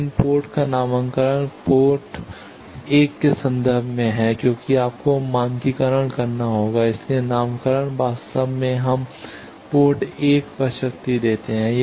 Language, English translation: Hindi, But the nomenclature of the ports is in terms of the port 1 thing because you will have to standardize, so nomenclature is genuinely we give power at port 1